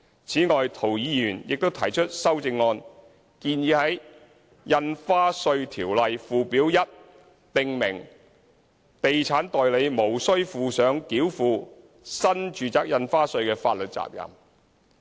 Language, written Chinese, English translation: Cantonese, 此外，涂議員亦提出修正案，建議在《印花稅條例》附表1訂明地產代理無須負上繳付新住宅印花稅的法律責任。, Besides Mr TO has also proposed a CSA to amend the First Schedule to the Stamp Duty Ordinance to the effect that estate agents will not be legally liable for payment of NRSD